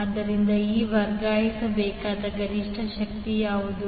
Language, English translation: Kannada, So, now what would be the maximum power to be transferred